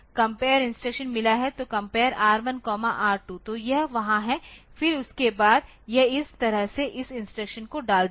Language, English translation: Hindi, So, compare R1 comma R2 so, that is there, then after that it will be it will be putting this instructions like this